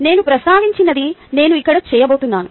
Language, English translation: Telugu, whatever i mentioned, i am going to do it here